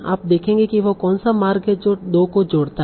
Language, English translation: Hindi, So you will say what is the path that connects the two